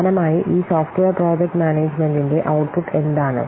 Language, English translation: Malayalam, So similarly, what is the output of this software project management